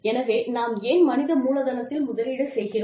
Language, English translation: Tamil, So, why do we invest in human capital